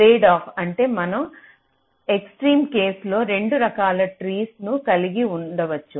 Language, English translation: Telugu, tradeoff means we can have, in the extreme case, two different kinds of trees